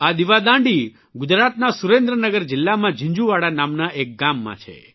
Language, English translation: Gujarati, This light house is at a place called Jinjhuwada in Surendra Nagar district of Gujarat